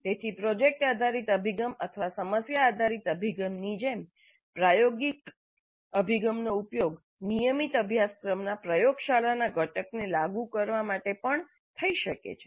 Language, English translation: Gujarati, So like product based approach or problem based approach, experiential approach also can be used to implement the laboratory component of a regular course